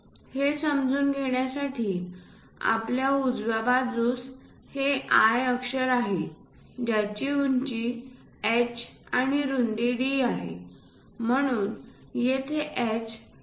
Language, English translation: Marathi, To understand that, in the right hand side, we have this I letter, which is having a height of h and a width of d , so here h is 2